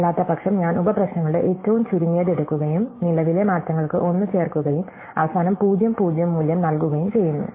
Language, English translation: Malayalam, Otherwise, I take the minimum of the subproblems and add 1 for the current changes and finally, I have returned the value 0 and 0